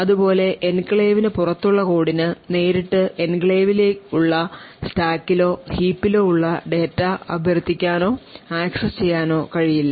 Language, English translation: Malayalam, Similarly code present outside the enclave will not be able to directly invoke data or access data in the stack or in the heap present in the enclave